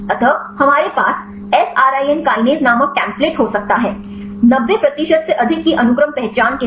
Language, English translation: Hindi, So, we can have the template called the Src kinase; with sequence identity of more than 90 percent